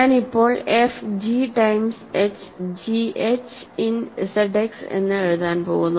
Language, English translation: Malayalam, So, I am going to now write f as g time h, g times h, g and h in Z X